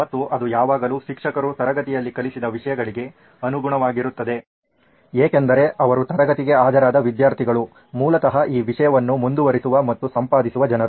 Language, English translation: Kannada, And it will always be in line with what the teacher has taught in class because the students who have attended her class are basically the people who go on and edit at this content